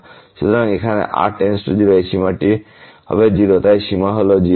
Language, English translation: Bengali, So, here when goes to 0 this limit will be 0 so limit is 0